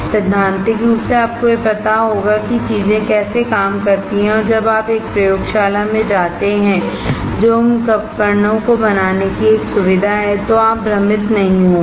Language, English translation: Hindi, Theoretically, you will have idea of how things work and when you go to a laboratory which is a facility to fabricate those devices you will not get confused